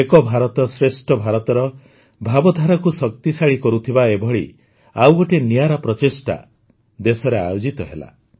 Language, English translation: Odia, Another such unique effort to give strength to the spirit of Ek Bharat, Shrestha Bharat has taken place in the country